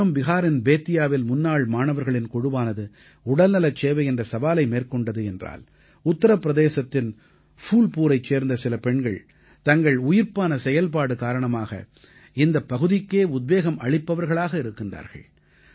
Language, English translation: Tamil, On one hand, in Bettiah in Bihar, a group of alumni took up the task of health care delivery, on the other, some women of Phulpur in Uttar Pradesh have inspired the entire region with their tenacity